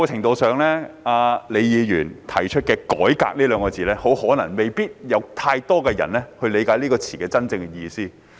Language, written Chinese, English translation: Cantonese, 李議員所提出的"改革"二字，可能未必有太多人理解其真正意思。, Perhaps not many people can understand the true meaning of the word reforming used by Ms LEE